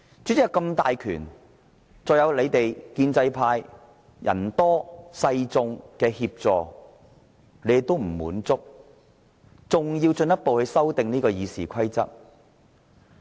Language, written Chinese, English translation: Cantonese, 主席有這麼大的權力，再加上建制派人多勢眾的協助，他們也不滿足，還要進一步修訂《議事規則》。, Despite the fact that the President has such great powers and pro - establishment Members form the majority of the Legislative Council they are still not satisfied and they want to amend RoP